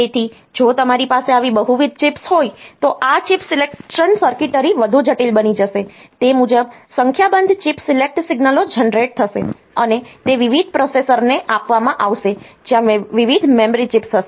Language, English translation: Gujarati, So, if you have got multiple such chips, then this chip selections circuitry will become more complex, accordingly a number of chip select signals will be generated, and they will be given to various processors where various memory chips